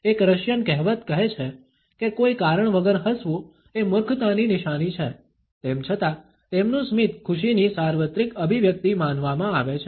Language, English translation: Gujarati, A Russian proverb says that smiling with no reason is a sign of stupidity; even though their smile itself is considered to be a universal expression of happiness